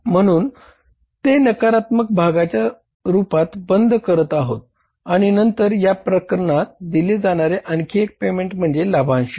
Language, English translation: Marathi, So we are closing it as as a negative part and then we have to go for the one more payment given in the cases that dividends